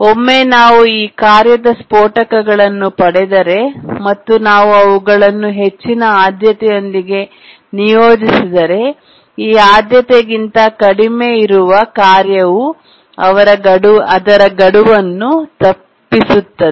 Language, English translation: Kannada, And once we get bursts of this task, if we assign, we have assigned higher priority to these tasks, then the tasks that are lower than this priority would miss deadlines